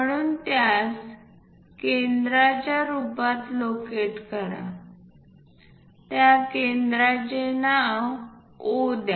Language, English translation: Marathi, So, locate this one as centre, name that centre as O